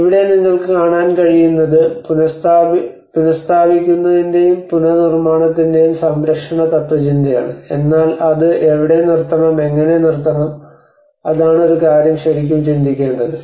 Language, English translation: Malayalam, And here, what you can see is that conservation philosophy of restoring and the reconstruction, but where to stop it, How to stop it, that is one aspect one has to really think about it